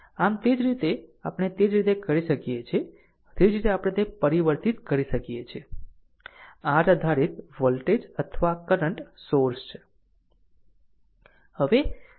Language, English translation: Gujarati, So, same way we can same way we can do same way we can transform that in your dependent voltage or current sources